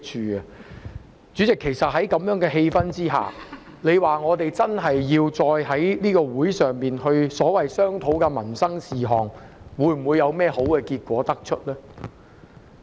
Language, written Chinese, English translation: Cantonese, 代理主席，其實在這種氣氛之下，要我們在會議席上商討所謂民生事項，能否得出甚麼好結果？, Deputy President under this kind of atmosphere will our discussions on the so - called livelihood issues at various meetings yield any positive results?